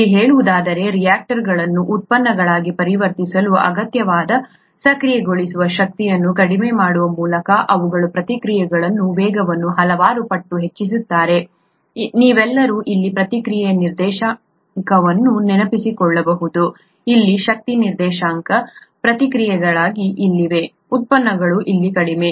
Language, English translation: Kannada, Here, say, they speed of reactions several fold by decreasing the activation energy required for the conversion of reactants to products, you all might remember the reaction coordinate here, the energy coordinate here, the reactants are here, the products are here at a lower energy level, there is an activation energy that needs to be crossed for this to happen